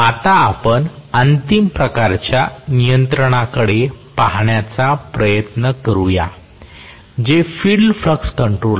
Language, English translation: Marathi, Now, let us try to look at the last type of control which is field flux control